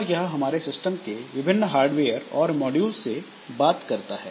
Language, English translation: Hindi, So, that talks to different hardware the modules that we have in the system